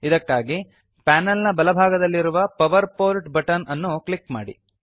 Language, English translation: Kannada, For this, On the right panel, click on Place a power port button